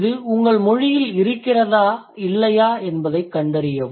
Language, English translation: Tamil, Find out if it holds true for your language or not